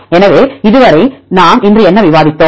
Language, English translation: Tamil, So, so far what did we discuss today